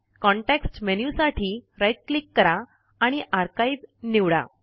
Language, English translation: Marathi, Right click for the context menu and select Archive